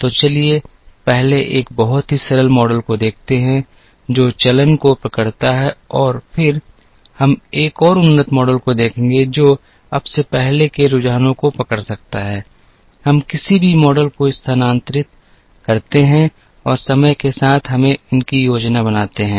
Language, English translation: Hindi, So, let us first look at very a simple model that captures trend and then we will look at a more advanced model, that can capture trend now before, we move to any model let us try and plot these with respect to time